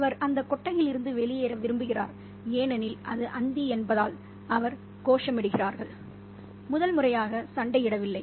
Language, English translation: Tamil, He wants to get out of the shed because it's Twilight and he could hear the voices of the children, and they seem to be singing and chanting and not fighting for the first time